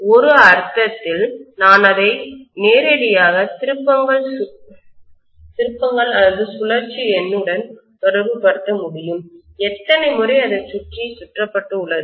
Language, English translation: Tamil, In one sense, I can directly correlate that to the number of turns, how many times it has been wound around